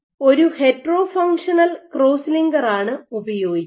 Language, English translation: Malayalam, So, what is used is a hetero by functional cross linker